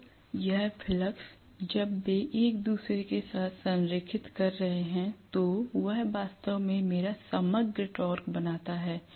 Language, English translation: Hindi, Now, this flux, when they are aligning with each other that is what actually creates my overall torque